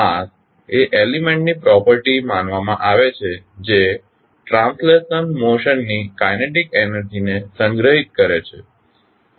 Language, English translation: Gujarati, Mass is considered a property of an element that stores the kinetic energy of translational motion